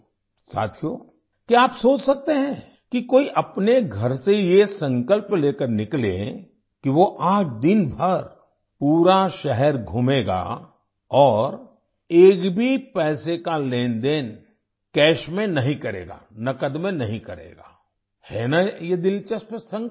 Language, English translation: Hindi, Friends, can you imagine that someone could come out of one's house with a resolve that one would roam the whole city for the whole day without doing any money transaction in cash isn't this an interesting resolve